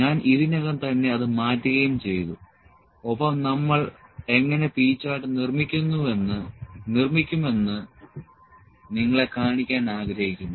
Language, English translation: Malayalam, I have already exported that and like to show you that how do we construct the P Chart